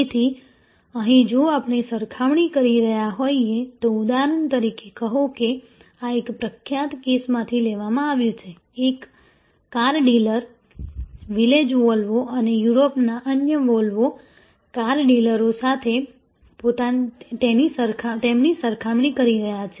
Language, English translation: Gujarati, So, here if we are comparing say for example, a particular this is taken from a famous case, a car dealer, Village Volvo and comparing them with other Volvo car dealers in Europe